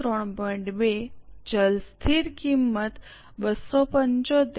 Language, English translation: Gujarati, 2, variable fixed cost 275